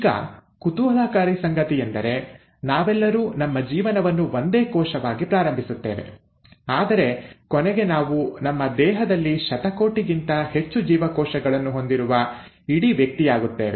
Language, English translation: Kannada, Now, what is intriguing is to note that we all start our life as a single cell, but we end up becoming a whole individual with more than billions of cells in our body